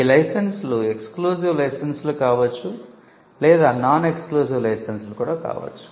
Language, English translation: Telugu, Now, licenses can be exclusive licenses; they can also be non exclusive licenses